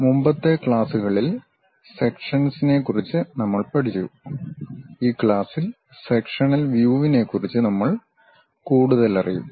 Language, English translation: Malayalam, In the earlier classes, we have learned about Sections, in this class we will learn more about Sectional Views